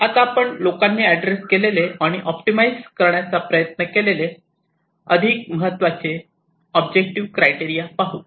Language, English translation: Marathi, so let us look at some of the more important objective criteria which people have tried to address and tried to optimize